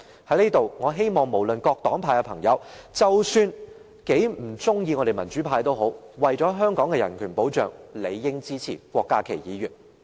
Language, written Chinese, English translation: Cantonese, 我在此希望各黨派的朋友，即使他們很不喜歡我們民主派，但為了香港的人權保障，也理應支持郭家麒議員的修正案。, Here I hope that even if Members of various political affiliations dislike us the pro - democracy camp they will still support Dr KWOK Ka - kis amendment for the sake of protection of human rights in Hong Kong